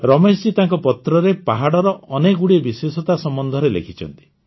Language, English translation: Odia, Ramesh ji has enumerated many specialities of the hills in his letter